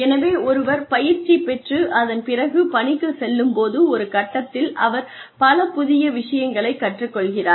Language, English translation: Tamil, So, when one is going through training, there is a phase in which, one learns new things